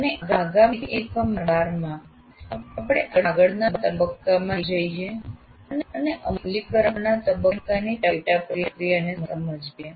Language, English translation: Gujarati, And in the next unit, unit 12, we try to now move on to the next one, the understand the sub process of implement phase